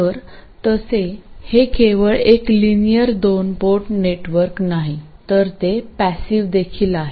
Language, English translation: Marathi, So, by the way, this is not just a linear two port network, it is also passive